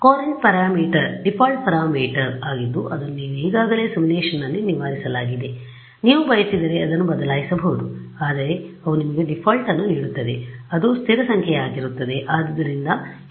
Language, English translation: Kannada, The Courant parameter is a default parameter that is already fixed in the simulation you can change it if you want, but the they give you a default which will be a stable number